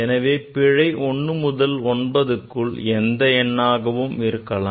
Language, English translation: Tamil, So, 1 to 9, it can be 1 to 9, any number error